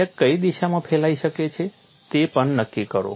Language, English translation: Gujarati, Also determine the direction in which crack can propagate